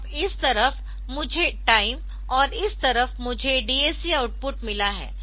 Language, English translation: Hindi, So, this side I have got say time and this side I have got the DAC output ok